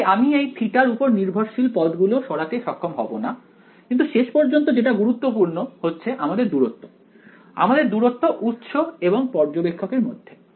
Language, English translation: Bengali, So, I cannot; I would not have been able to remove the theta dependent terms ok, but finally, all that matters is; all that matters is this distance, the distance between the source and the observer alright